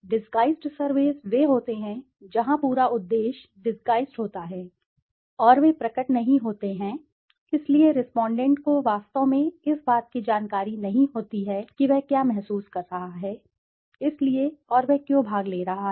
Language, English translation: Hindi, Disguised surveys are those where the entire purpose is disguised and they are not revealed, so the respondent is actually not aware of what he is feeling up, so and why he is participating